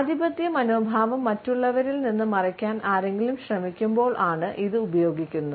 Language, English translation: Malayalam, It is as if somebody is trying to hide the dominant attitude from others